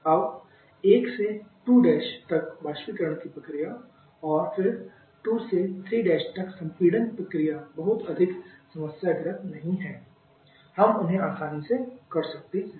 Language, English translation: Hindi, Now having the evaporation process from 1 to 2 prime and then the compression from 2 to 3 Prime is again not too much problematic we can easily get them